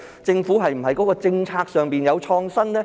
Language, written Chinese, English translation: Cantonese, 是否在政策上有創新呢？, Has policy innovation been promoted?